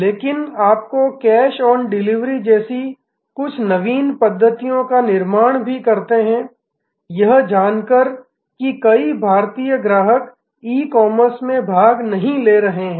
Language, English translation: Hindi, But, they you know did some simple innovation like cash on delivery, sensing that the many Indian customers were not participating in E commerce